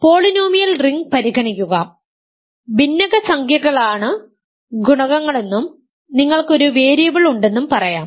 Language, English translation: Malayalam, So, consider the ring polynomial ring, let us say rational numbers are the coefficients and you have one variable